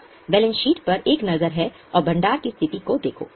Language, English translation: Hindi, Just have a look at balance sheet and look at the reserves position